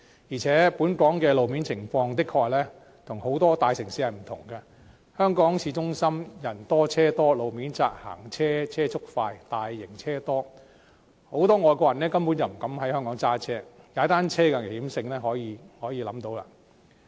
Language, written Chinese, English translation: Cantonese, 而且，本港的路面情況的確跟很多大城市不同，香港市中心人多、車多、路面窄、行車車速快、大型車輛多，很多外國人根本不敢在香港駕駛，踏單車的危險性可想而知。, Besides road conditions in Hong Kong are honestly different from those in many major cities . The city centre of Hong Kong is crowded with people and vehicles with vehicles travelling at a high speed on narrow roads and the presence of many large vehicles . Many foreigners utterly dare not drive in Hong Kong and we can imagine the risks involved in cycling